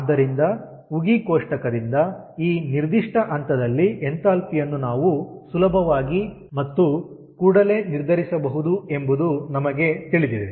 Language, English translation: Kannada, so we know we can easily and readily determined the enthalpy at this particular point from steam table